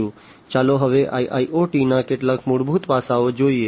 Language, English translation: Gujarati, So, let us now look at some of the fundamental aspects of IIoT